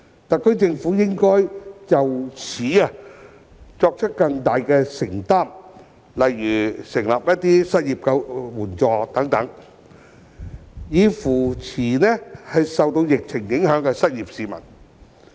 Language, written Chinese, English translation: Cantonese, 特區政府應就此作出更大承擔，例如設立失業援助金等，以扶持受疫情影響的失業市民。, The SAR Government should make greater commitment in this respect such as establishing an unemployment assistance to offer support to persons who have been affected by the epidemic and become unemployed